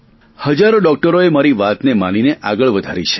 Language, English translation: Gujarati, There are thousands of doctors who have implemented what I said